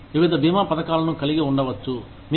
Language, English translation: Telugu, You could have various insurance plans